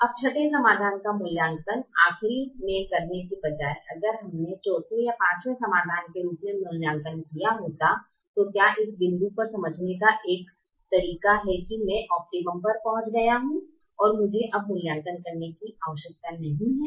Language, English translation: Hindi, can we make it a part of the algorithm now, instead of evaluating the sixth solution last, if we had evaluated as a fourth or fifth solution, is there a way to understand at that point that i have reached the optimum and i don't have to evaluate anymore